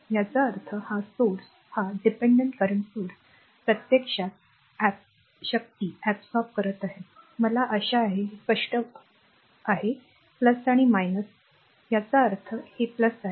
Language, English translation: Marathi, That means, this source this dependent current source actually absorbing power I hope you are understanding will be clear loop this is plus minus; that means, this is plus, this is minus